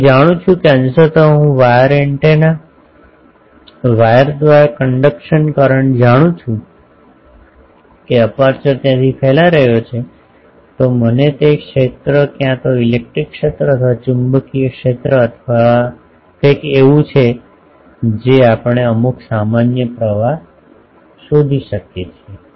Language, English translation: Gujarati, If I know suppose partly I know the conduction current through wires partly I know that aperture from where it is radiating, I know the field either electric field or magnetic field or something we can find out some sort of generalised currents